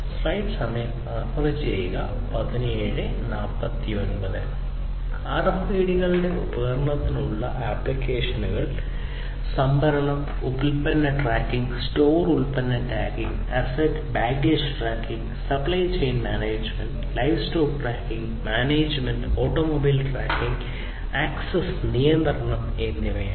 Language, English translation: Malayalam, Applications of use of RFIDs are for storing product tracking, store product tracking, sorry, store product tracking, asset and baggage tracking, supply chain management, livestock tracking and management, auto mobile tracking authentication and access control, and so on